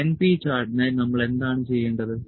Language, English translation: Malayalam, For the np chart what we need to do